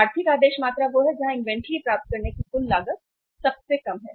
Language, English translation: Hindi, Economic order quantity is the one where the total cost of acquiring the inventory is the lowest